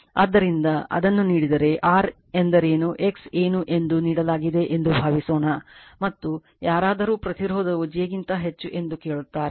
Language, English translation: Kannada, So, if it is given then what is r what is x suppose this is given and somebody ask you that the impedance is root over j